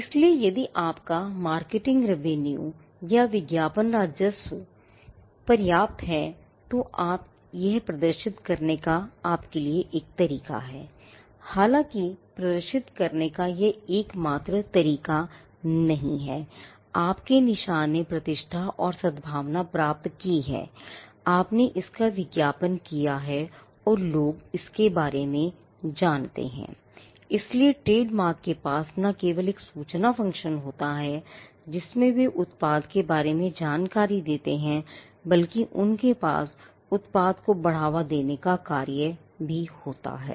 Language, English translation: Hindi, So, if your marketing revenue or advertising revenue is substantial, that is a way for you to demonstrate though they would not be the only way to demonstrate that, your mark has attained a reputation and goodwill by the fact that, you have advertised it and people know about it So, trademarks have not only an information function, wherein they give information about the product, but they also have a function of promoting the product